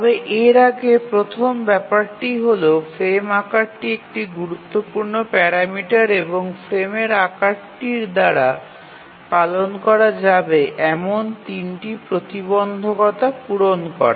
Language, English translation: Bengali, But before that the first thing is that the frame size is a important design parameter and there are three constraints that the frame size must satisfy